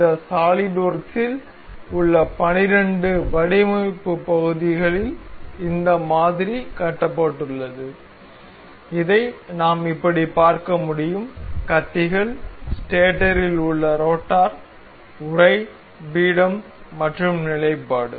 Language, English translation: Tamil, This model is built out of 12 design parts in this SolidWorks that we can see it like this; the blades, the rotor in stator, the casing, the pedestal and the stand